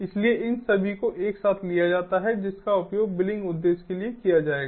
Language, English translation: Hindi, so all these taken together will be used for billing purpose